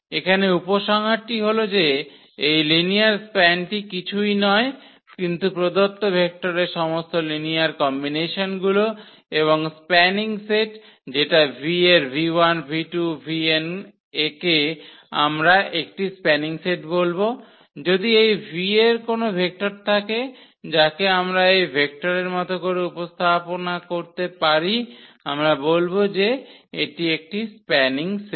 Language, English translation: Bengali, Here the conclusion is that this linear span is nothing, but all the all linear combinations of the given vectors and the spanning set which v 1, v 2, v n of v we will call that this is a spanning set, if any vector of this v, we can represent in the form of these vector these then we call that this is a spanning set